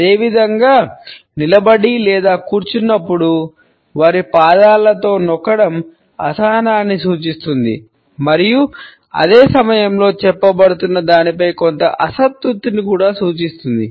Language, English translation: Telugu, Similarly, while standing or sitting tapping with ones foot symbolizes impatience and at the same time it may also suggest a certain dissatisfaction with what is being said